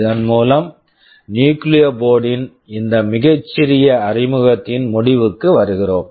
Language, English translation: Tamil, With this we come to the end of this very short introduction of Nucleo board